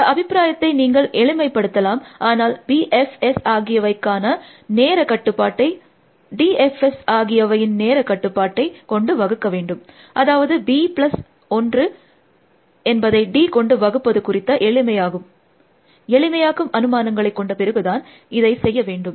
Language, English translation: Tamil, So, you can simplifying the expression, but the time complexity for B F S divided by the time complexity of D F S, after we make the simplifying assumptions is roughly b plus 1 divided by D